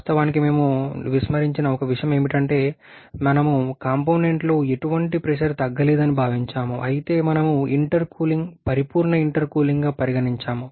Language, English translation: Telugu, Of course one thing we have neglected that is no pressure loss is the component but we have considered intercooling a perfect intercooling